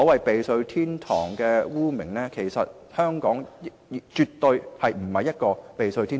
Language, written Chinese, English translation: Cantonese, 避稅天堂是一個污名，香港絕對不是避稅天堂。, A tax haven is a blemish and Hong Kong is definitely not a tax haven